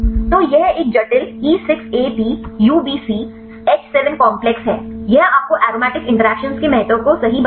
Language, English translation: Hindi, So, this is a complex E6AP UbcH7 complex, this will tell you the importance of aromatic interactions right